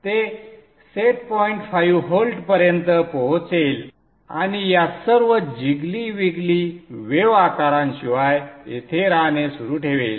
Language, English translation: Marathi, It will reach the set point 5 volts and continue to stay here without all this jiggly biggly wave shapes